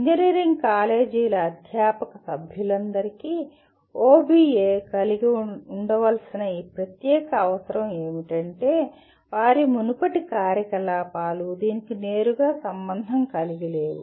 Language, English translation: Telugu, And this is, this particular requirement of having OBE is a new requirement for all faculty members of engineering colleges as their earlier activities were not directly related to this